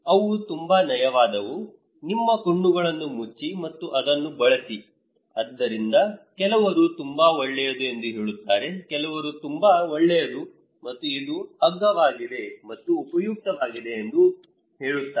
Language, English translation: Kannada, They are very smooth, close your eyes and use it, so some say damn good, some says it is damn good, good and it is cheap and useful